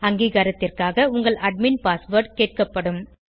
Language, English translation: Tamil, You will be prompted for your admin password, for Authentication purpose